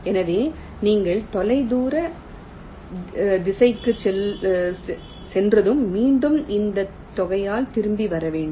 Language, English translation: Tamil, so once you go go to the to the away direction, will have to again come back by that amount